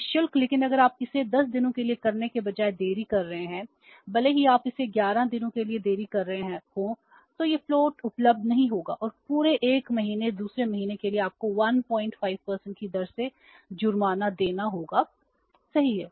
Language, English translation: Hindi, It means normal credit period of 30 days that is free but if you are delaying it rather than delaying it for 10 days even if you are delaying it for 11 days then this float will not be available and for the entire one month second month you have to pay the penalty at the rate of 1